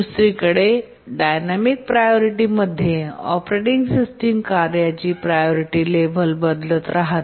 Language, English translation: Marathi, On the other hand in a dynamic priority, the operating system keeps on changing the priority level of tasks